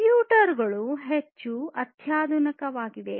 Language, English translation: Kannada, 0, computers have become more sophisticated